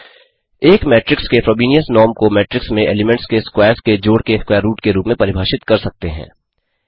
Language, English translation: Hindi, The Frobenius norm of a matrix is defined as square root of sum of squares of elements in the matrix